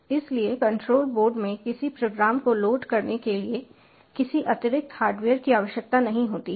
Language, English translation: Hindi, so no extra hardware is required to load a program in to the controller board